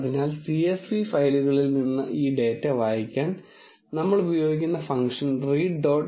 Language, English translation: Malayalam, So, in order to read this data from the csv files, function we use is read dot csv function